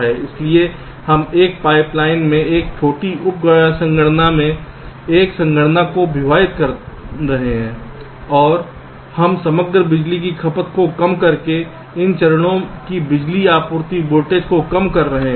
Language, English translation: Hindi, so we are splitting a computation into smaller sub computation in a pipe line and we are reducing the power supply voltage of these stages their by reducing the overall power consumption